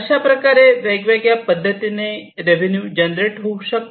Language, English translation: Marathi, So, these revenues could be generated in different ways